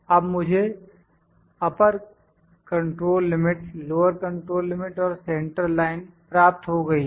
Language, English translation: Hindi, Now I have got upper control limit, lower control limit and central line